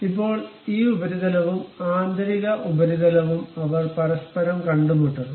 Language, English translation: Malayalam, Now, this surface and internal surface, they are supposed to meet each other